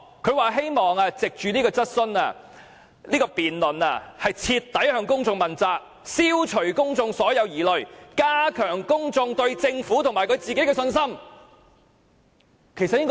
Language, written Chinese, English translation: Cantonese, 他表示希望藉着該場辯論徹底向公眾問責，消除公眾所有疑慮，加強公眾對政府和他的信心。, He said he hoped to use the debate to hold himself fully accountable to the public dispel all their doubts and enhance their confidence in his government and him